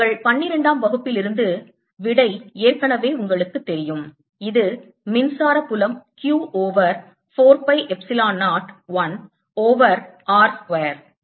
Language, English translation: Tamil, ok, you already know the answer for your twelfth grad that this is electric field is given as q over four pi epsilon zero